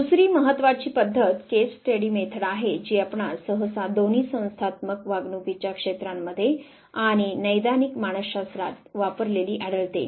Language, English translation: Marathi, The other important method that you would usually find being used is the case study method, both in the area of organizational behavior in the clinical psychology you will find this very method being used